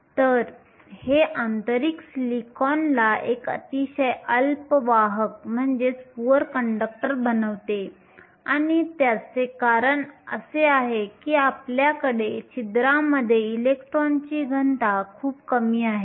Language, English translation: Marathi, So, this makes intrinsic silicon a very poor conductor and the reason for that is because we have a very low density of electrons in holes